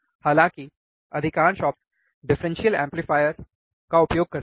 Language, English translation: Hindi, However most of the op amps uses the differential amplifier